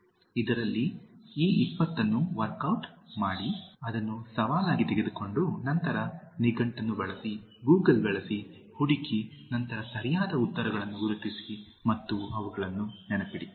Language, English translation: Kannada, In this one, work out this 20, take it as a challenge and then use dictionary, use Google, search and then identify the correct answers and remember them